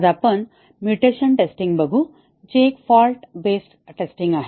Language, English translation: Marathi, Today we will look at the mutation testing which is a fault based testing